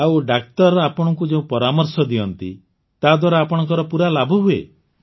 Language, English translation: Odia, And the guidance that doctors give you, you get full benefit from it